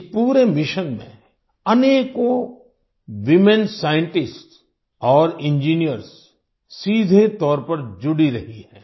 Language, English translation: Hindi, Many women scientists and engineers have been directly involved in this entire mission